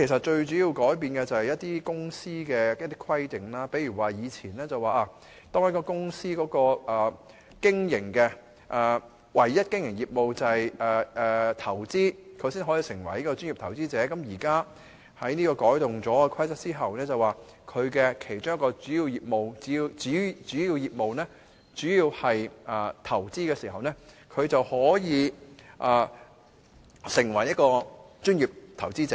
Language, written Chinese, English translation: Cantonese, 最主要改變的是對公司的規定，例如以前當公司的唯一經營業務是投資，它才可以成為專業投資者，而現在《規則》改動後，只要公司其中一個主要業務是投資，便可以成為專業投資者。, The major change lies in the requirement for corporations . For instance under the existing rules a corporation will qualify as a professional investor only if its sole business is investment . But with the present amendments to the PI Rules a corporation will qualify as a professional investor as long as one of its principal businesses is investment